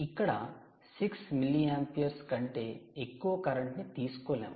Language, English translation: Telugu, you cant draw more than six milliamperes of ah current